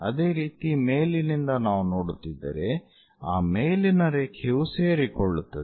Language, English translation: Kannada, Similarly, from top if we are looking, that top line coincides